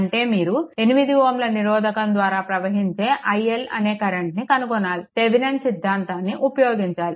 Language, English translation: Telugu, that means, you have to find out the current i L say, through 8 ohm resistance; your 8 ohm resistance using Thevenin’s theorem